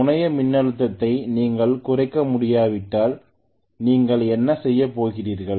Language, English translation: Tamil, If you cannot decrease the terminal voltage what are you going to do